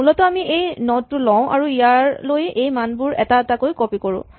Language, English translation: Assamese, So, we just take basically this node and copy these values one by one here